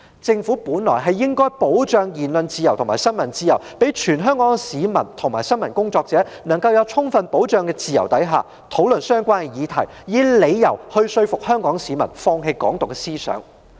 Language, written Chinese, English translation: Cantonese, 政府本來應該保障言論自由和新聞自由，讓全港市民及新聞工作者能夠在自由得到充分保障的情況下，討論相關議題，以說服香港市民放棄"港獨"思想。, The Government should have safeguarded freedom of speech and freedom of the press so that all Hong Kong people and journalists can in an environment where their freedom is adequately safeguarded discuss relevant issues to convince Hong Kong people to give up the idea of Hong Kong independence